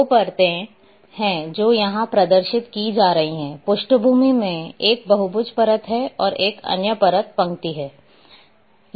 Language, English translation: Hindi, There are 2 layers which are being displayed here; one is in the background is polygon layer, and another one is the line